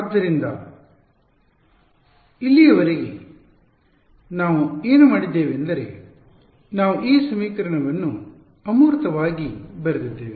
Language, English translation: Kannada, So, so far what we have done is we have sort of written this equation abstractly ok